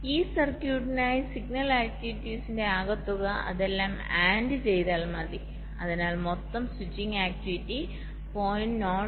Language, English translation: Malayalam, so for this circuit, the sum of the signal activities, if you just just add them up, so total switching activity will be point zero six, seven, nine